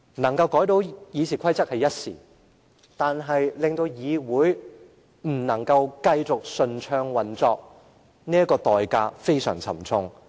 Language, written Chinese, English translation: Cantonese, 成功修訂《議事規則》只是一時之勝，但會令議會不能繼續順暢運作，這代價非常沉重。, Their success in amending RoP will give them a sense of victory for a fleeting moment but consequently the Council will never be able to operate smoothly as it was and that is a very dear price to pay